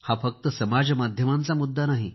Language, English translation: Marathi, This is not only an issue of social media